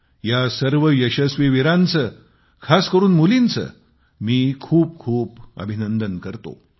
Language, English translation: Marathi, I congratulate these daredevils, especially the daughters from the core of my heart